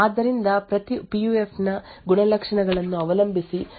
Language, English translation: Kannada, So, depending on the characteristics of each PUF the response would be either 1 or 0